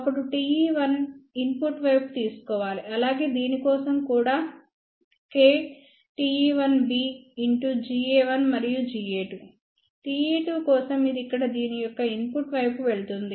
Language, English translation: Telugu, Then T e 1 is to be taken in the input side, so for this also k T e 1 B multiplied by G a 1 and G a 2, for T e 2 this will go to the input side of this one here